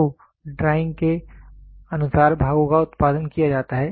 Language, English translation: Hindi, So, the parts are produced according to the drawing